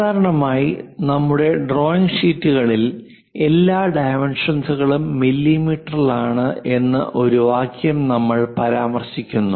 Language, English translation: Malayalam, Usually on our drawing sheets we mention a word sentence, unless otherwise specified all dimensions are in mm